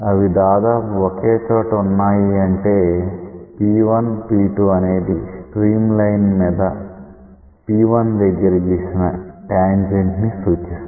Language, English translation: Telugu, When they are almost coincident; that means, P1P2 then represents tangent to the stream line at the point P1